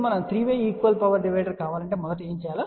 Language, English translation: Telugu, Now, let us first look at if you want 3 way equal power divider what do we need to do